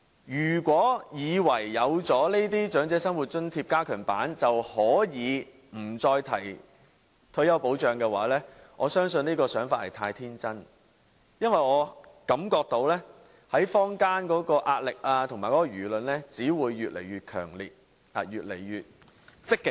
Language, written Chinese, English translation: Cantonese, 如果政府以為設立這項加強版的長者生活津貼，便可以不再提退休保障，我相信這想法太天真，因為我感覺到坊間的壓力和輿論只會越來越強烈，越來越積極。, If the Government believes that by providing this enhanced OALA it will no longer need to mention retirement protection I think the Government is too naive because I feel the public opinions and pressure will only grow stronger and stronger